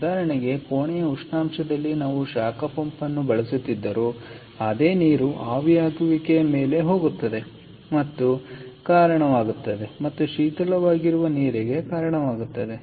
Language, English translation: Kannada, whatever we have using a heat pump, the same water goes over the evaporator and leads and gives rise to chilled water